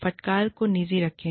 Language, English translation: Hindi, Keep reprimands, private